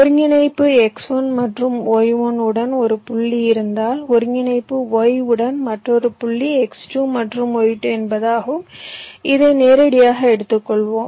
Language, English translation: Tamil, if you have one point with coordinate x one and y one, another point with coordinate y, say x two and y two